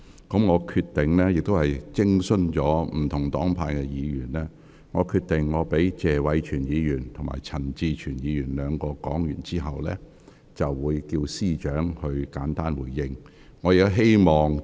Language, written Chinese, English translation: Cantonese, 經徵詢各黨派議員的意見，我決定在謝偉銓議員和陳志全議員兩位發言完畢後，便會請政務司司長作簡單回應。, After consulting Members from various parties I have made the decision that when Mr Tony TSE and Mr CHAN Chi - chuen have finished speaking I will ask the Chief Secretary for Administration to give a brief response